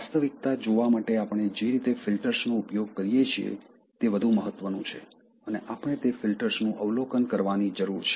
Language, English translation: Gujarati, The way we use filters, to see reality is more important and we need to observe those filters